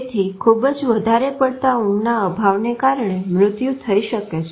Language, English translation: Gujarati, So extreme sleep deprivation will eventually cause death